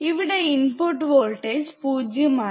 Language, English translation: Malayalam, So, input voltage is 0